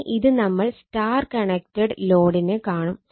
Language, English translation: Malayalam, Now, we will see the star connected load right